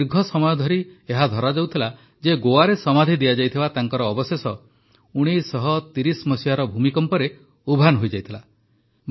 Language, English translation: Odia, But, for a long time it was believed that her remains buried in Goa were lost in the earthquake of 1930